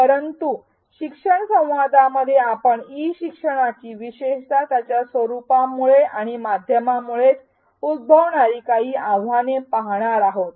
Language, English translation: Marathi, In the next learning dialogue we will look at some challenges of e learning especially those that arise due to the format and the medium itself